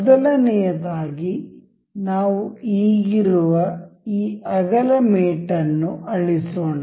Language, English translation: Kannada, First of all, let us just delete this width mate that we have just in